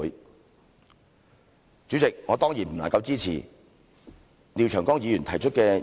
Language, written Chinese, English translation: Cantonese, 代理主席，我當然不能夠支持廖長江議員提出的議案。, Deputy President I certainly cannot support the motions proposed by Mr Martin LIAO